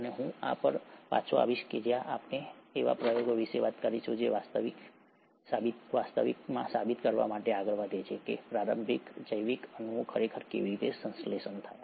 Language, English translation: Gujarati, And I’ll come back to this when we talk about experiments which actually go on to prove how the initial biological molecules actually got synthesized